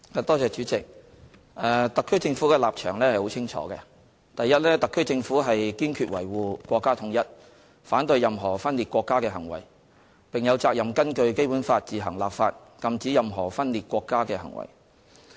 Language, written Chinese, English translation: Cantonese, 代理主席，特區政府的立場十分清楚，第一，特區政府堅決維護國家統一，反對任何分裂國家的行為，並有責任根據《基本法》自行立法，禁止任何分裂國家的行為。, Deputy President the position of the HKSAR Government is very clear . Firstly the HKSAR Government strongly upholds national unity and is against any acts of secession . Under the Basic Law it has the responsibility to enact laws on its own to prohibit any acts of secession